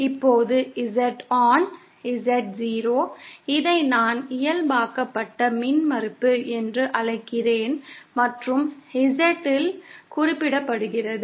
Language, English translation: Tamil, Now Z upon Z0, I call this the normalised impedance and represented by z